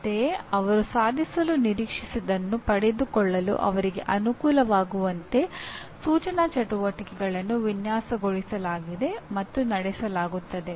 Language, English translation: Kannada, Similarly, instructional activities are designed and conducted to facilitate them to acquire what they are expected to achieve